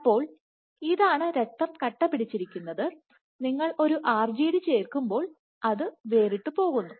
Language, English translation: Malayalam, So, this is the clot, blood clot and when you add a RGD it falls apart